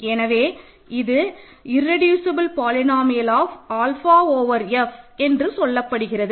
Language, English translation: Tamil, So, it is called the irreducible polynomial of alpha over F ok